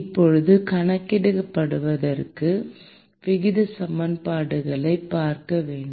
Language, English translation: Tamil, Now, in order to quantify, one need to look at the rate equations